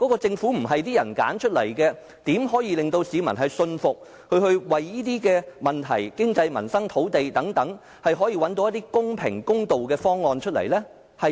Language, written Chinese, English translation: Cantonese, 政府不是由人民選出來的，怎可以令到市民信服，認為它可以就經濟、民生、土地等問題找到一些公平、公道的方案呢？, If the Government is not returned by the people how can it convince the public that it can identify some fair and just proposals to solve the economic livelihood and land problems? . It cannot do so